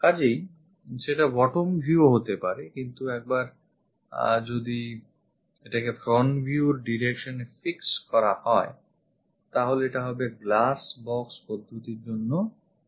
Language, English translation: Bengali, So, that can be bottom view also, but once we fix this one as the front view direction, then this will becomes this is the front view this is the top view for glass box method